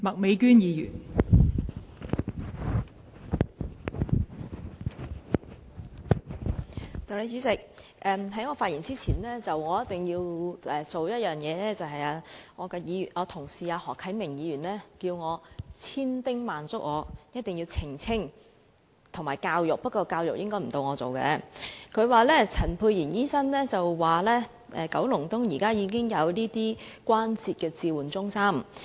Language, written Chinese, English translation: Cantonese, 代理主席，我在進一步發言前，一定要做一件事，我的同事何啟明議員對我千叮萬囑，一定要澄清和教育——不過，教育應該輪不到我來做——他說陳沛然議員表示，九龍東現時已經設有關節置換中心。, Deputy President before I speak any further there is one thing I must do . My Honourable colleague Mr HO Kai - ming has repeatedly urged me to make a clarification and educate―but education is not supposed to be my business―he said Dr Pierre CHAN had stated that a joint replacement centre is now available in Kowloon East